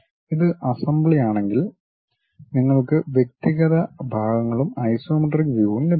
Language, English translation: Malayalam, If it is assembly you will have individual parts and also the isometric view you will straight away get it